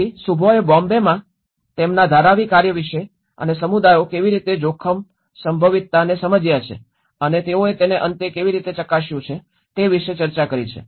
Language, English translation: Gujarati, So, this is where Shubho have discussed about his Dharavi work in Bombay and how the communities have understood the risk potential and how they cross verified it at the end